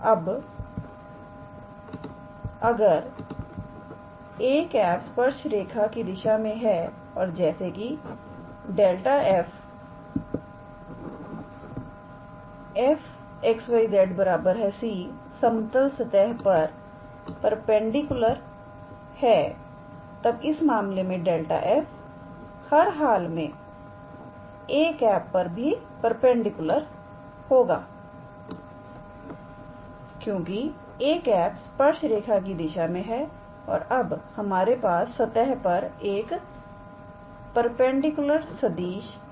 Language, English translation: Hindi, Now, if a cap is along the direction of tangent line and since gradient of f is normal to this level surface f x, y, z equals to c, then in that case gradient of f must be normal or must be perpendicular to a cap because a cap is in is along the direction of tangent line and we have a perpendicular vector on the surface